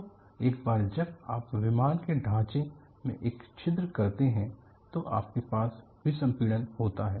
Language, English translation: Hindi, So, onceyou have an opening in the fuselage, you have decompression taking place